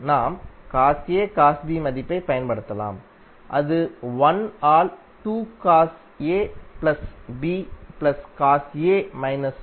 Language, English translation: Tamil, You can utilize cos A cos B value that is nothing but 1 by 2 cos A plus B plus cos A minus B